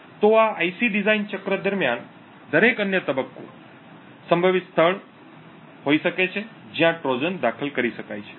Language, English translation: Gujarati, So, every other stage during this life's IC design cycle could potentially be spot where a Trojan can be inserted